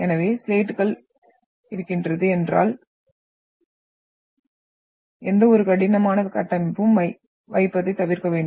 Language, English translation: Tamil, So if you are having come coming across slates, you should avoid putting any heavy structures on that